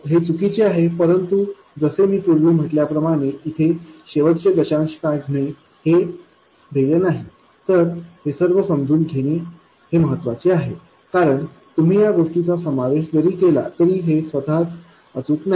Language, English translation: Marathi, This is inaccurate, but again, like I said earlier, the goal is to understand the phenomena not to make the calculation to the last decimal point because even if you include this, this itself is not accurate